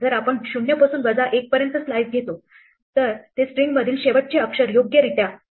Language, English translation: Marathi, If we will take the slice from 0 up to minus 1 then it will correctly exclude the last character from the string